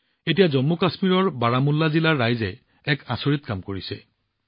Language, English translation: Assamese, Now the people of Baramulla district of Jammu and Kashmir have done a wonderful job